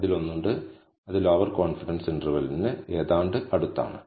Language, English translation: Malayalam, And there is one, which is exactly almost close to the lower confidence limit